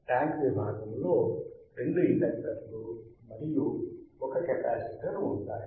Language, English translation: Telugu, The tank section consistts of two inductors; you see two inductors and one capacitor